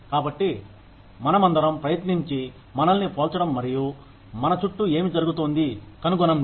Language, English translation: Telugu, So, we all try and compare ourselves, and find out, what is going on, around us